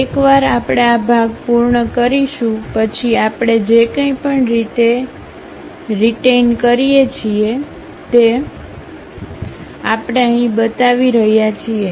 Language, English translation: Gujarati, Once we are done this part whatever we are going to retain that we are showing it here